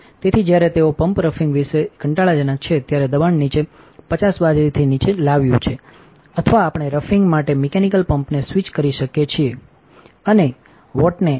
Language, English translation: Gujarati, So, after they are roughing about roughing the pump has brought the pressure down to below 50 millet or we can switch the mechanical pump off for the roughing and turn on the high watt